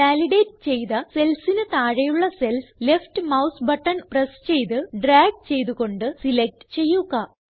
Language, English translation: Malayalam, Then, select the cells below the validated cell by pressing the left mouse button, and then dragging along the cells